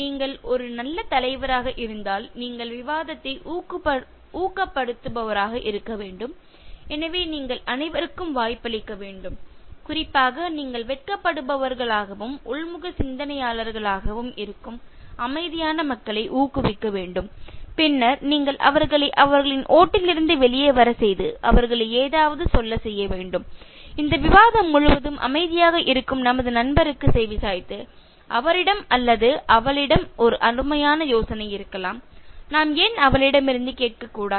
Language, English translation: Tamil, If you are a good leader, you should be a facilitator, so you should give chance to all especially you should motivate those silent people who are rather shy and introverted and then you should make them come out of their shell and make them say something so if you can say something like let’s listen to our friend who is keeping quiet throughout this discussion and maybe he or she has a wonderful idea why not we hear from her